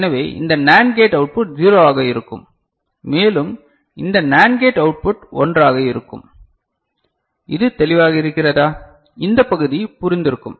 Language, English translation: Tamil, So, this NAND gate output will be 0 and these NAND gate output will be 1, is it clear, this part is understood